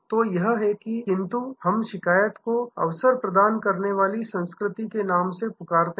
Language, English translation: Hindi, So, this is, but we call complained as an opportunity culture